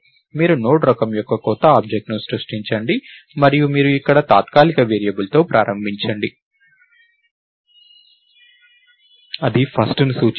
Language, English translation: Telugu, So, you create a new object of the type Node and you start with a temporary variable here which points to first